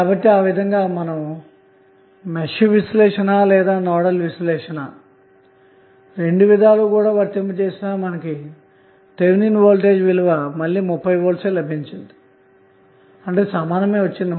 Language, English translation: Telugu, So in that way either you apply Mesh analysis or the Nodal analysis in both way you will get the Thevenin voltage same